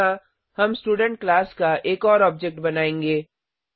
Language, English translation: Hindi, Here, we will create one more object of the Student class